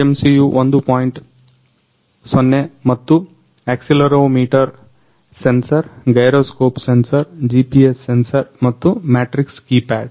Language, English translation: Kannada, 0 and accelerometer sensor, gyroscope sensor, GPS sensor and matrix keypad